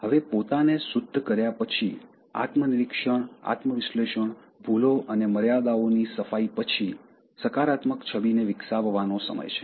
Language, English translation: Gujarati, Now, after purifying ourselves, introspection, self analysis, discarding mistakes, false limitations, it is time to develop the positive image